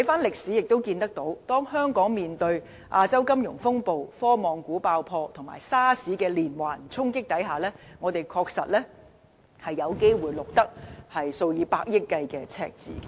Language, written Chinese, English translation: Cantonese, 歷史亦告訴我們，如果香港面對亞洲金融風暴、科網股爆破及 SARS 的連環衝擊，我們的確有機會錄得數以百億元計的赤字。, History showed us that when faced with successive crises like the Asian Financial Crisis the technology bubble burst and SARS it was not impossible for Hong Kong to record tens of billions of deficits